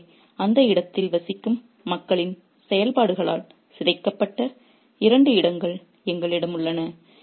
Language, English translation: Tamil, So, we have two spaces that have been corrupted by the activities of the people who inhabit that space